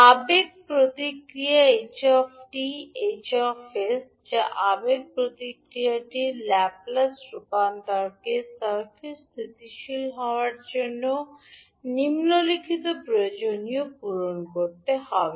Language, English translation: Bengali, The impulse response ht, Hs that is the Laplace Transform of the impulse response ht, must meet the following requirement in order to circuit to be stable